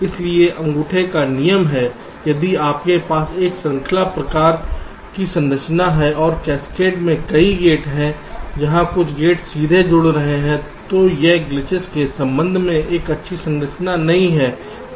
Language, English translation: Hindi, so rule of thumb is: if you have a chain kind of a structure and many gates in cascade where some of the gates are connecting directly, this is not a good structure